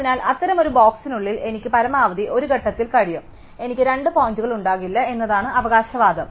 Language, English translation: Malayalam, So, the claim is that inside such a box I can have at most one point, I cannot have two points